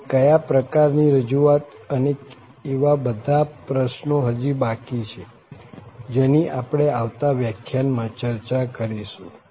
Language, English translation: Gujarati, And, what kind of representation and all that question is still open that we will discuss in next lectures